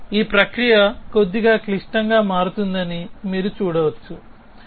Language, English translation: Telugu, Now, you can see that this process is going to become a little bit complicated